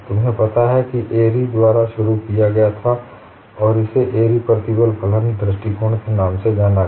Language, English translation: Hindi, You know this was introduced by Airy and this is known as Airy's stress function approach